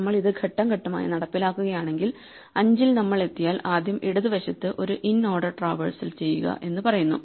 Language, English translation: Malayalam, So, if we execute this step by step, 5 if we reach it says first do an inorder traversal of the left